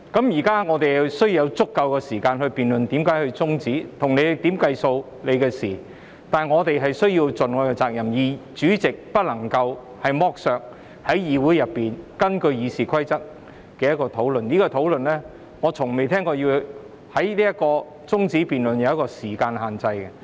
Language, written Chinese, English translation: Cantonese, 現在我們需要有足夠的時間來辯論為何要中止辯論，如何計算時限是你的事，但我們必須盡我們的責任，主席不能剝削議會內議員根據《議事規則》提出的討論，而我也從未聽過中止待續議案的辯論是有時間限制的。, Now we need sufficient time to debate why the debate has to be adjourned . It is your business as to how to calculate the time but we must perform our duties and President you cannot deprive Members of the opportunity to engage in discussions proposed in this Council under the Rules of Procedure RoP and I have never heard that a debate on an adjournment motion is subject to a time limit